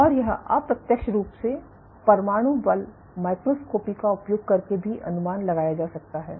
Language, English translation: Hindi, And this can also be indirectly estimated using atomic force microscopy